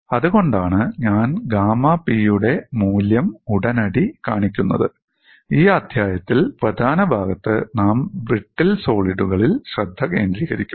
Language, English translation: Malayalam, That is the reason why I am showing right away the value of gamma P, although in this chapter, in the major portion we would focus on brittle solids